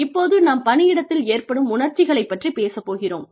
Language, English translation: Tamil, We are talking about, our emotions in the workplace